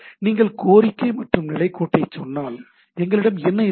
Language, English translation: Tamil, So, if you say the request and status line, so what we have